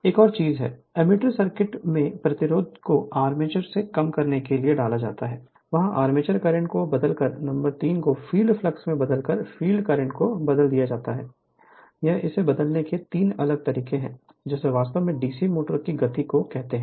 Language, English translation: Hindi, Another thing is by inserting the resistance in the ammeter circuit to reduce the applied voltage to the armature, there by changing the armature current right and number 3 is by varying the field flux by changing the field current, these are the 3different ways of changing the your what you call speed of the DC motor